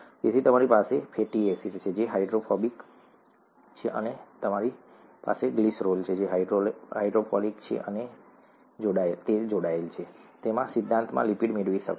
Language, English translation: Gujarati, So you have a fatty acid, which is hydrophobic, and you have glycerol, which is hydrophilic and attached, you could in principle, get a lipid